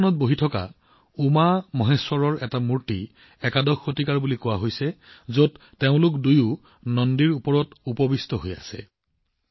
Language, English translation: Assamese, An idol of UmaMaheshwara in Lalitasan is said to be of the 11th century, in which both of them are seated on Nandi